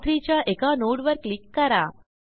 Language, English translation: Marathi, Let us click on one of the nodes of R3